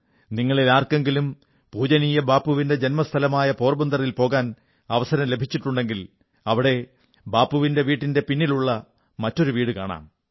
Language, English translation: Malayalam, If any of you gets an opportunity to go to Porbandar, the place of birth of revered Bapu, then there is a house behind the house of revered Bapu, where a 200year old water tank still exists